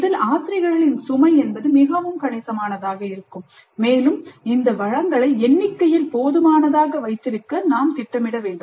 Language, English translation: Tamil, So the load on the faculty is going to be fairly substantial and we need to plan to have these resources adequate in number